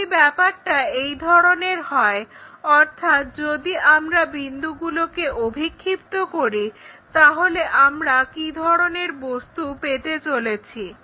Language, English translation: Bengali, If that is the case if we are projecting these points, what kind of object we are going to get